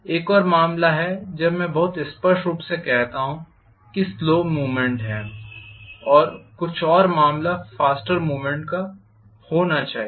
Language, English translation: Hindi, There is another case very clearly when I say there is slow movement there should be some other case with faster movement